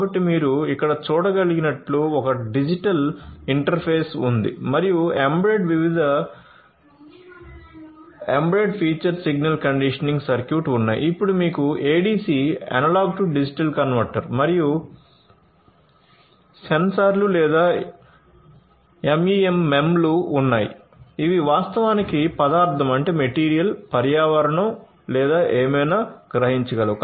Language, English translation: Telugu, So, as you can see over here, there is a digital interface and embedded you know there are different embedded features signal conditioning circuit, then you have ADC Analog to Digital Converter and the sensors or MEMs which actually sense the material I know sense the environment or sense whatever it is supposed to sense